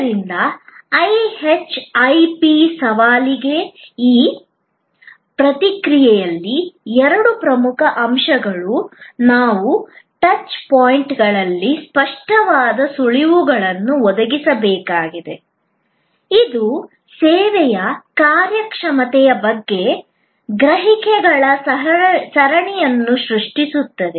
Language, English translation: Kannada, So, in this response to the IHIP challenge, the two key points are that we have to provide tangible clues at the touch points, which create a series of perceptions about the service performance